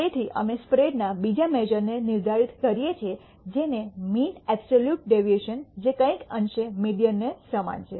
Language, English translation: Gujarati, So, we define another measure of spread which is called the mean absolute deviation somewhat similar to the median